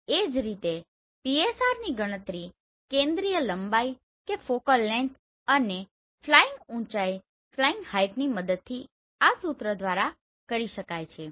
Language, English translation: Gujarati, Similarly, PSR can be calculated using this focal length and flying height using this formula right